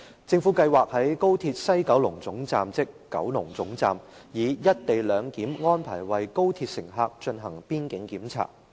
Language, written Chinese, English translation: Cantonese, 政府計劃在高鐵西九龍總站，以"一地兩檢"安排為高鐵乘客進行邊境檢查。, The Government plans to conduct border checks for XRL passengers at the XRL West Kowloon Terminus WKT under the arrangements for co - location of boundary control